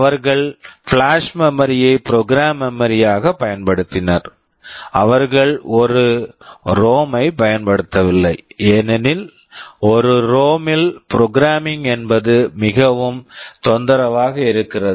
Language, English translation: Tamil, They have used flash memory as the program memory, they have not used a ROM because programming a ROM is quite troublesome